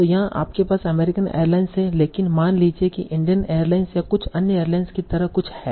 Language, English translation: Hindi, But suppose there is something like Indian Airlines or some other airlines